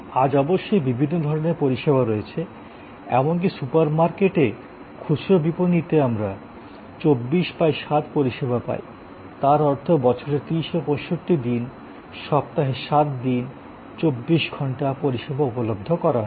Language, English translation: Bengali, Today of course, there are many different types of services, even in retail merchandising in super market we get 24 by 7 service; that means, 24 hours 7 days a week 365 days the year the service is available